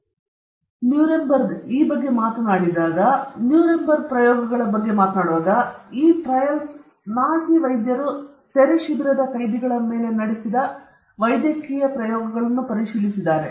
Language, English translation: Kannada, And when we talk about, very briefly about, Nuremberg, when we talk about Nuremberg trials, which I have already indicated, these trails have examined the medical experiments conducted on concentration camp prisoners by the Nazi physicians